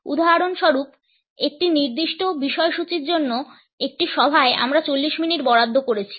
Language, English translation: Bengali, For example, in a meeting for a particular agenda item we might have allocated 40 minutes